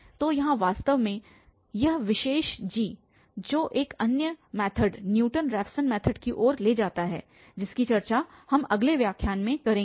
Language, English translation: Hindi, So, here indeed this particular g which leads to another method Newton Raphson method which we will discuss in the next lecture